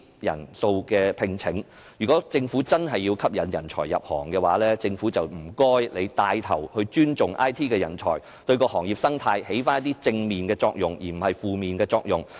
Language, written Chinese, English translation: Cantonese, 如果政府真的要吸引人才入行，請它牽頭尊重 IT 人才，對行業生態發揮一些正面的作用，而不是負面作用。, The number of recruits for these positions has been on the rise . If the Government really wants to attract people to join the industry please take the lead to respect IT talents and create some positive effects not negative effects on the ecology of the industry